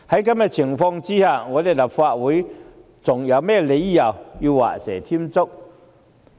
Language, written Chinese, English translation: Cantonese, 在此情況下，立法會還有何理由畫蛇添足？, As such why should the Legislative Council take a superfluous action?